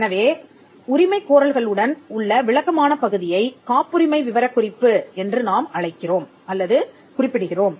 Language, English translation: Tamil, So, the descriptive part along with the claims is what we call or refer to as the patent specification